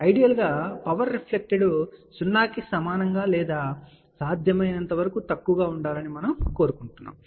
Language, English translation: Telugu, Ideally, we would like power reflector to be equal to 0 or as low as possible